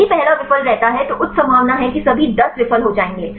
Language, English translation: Hindi, If the first one fails then the high possibility that all the 10 will fail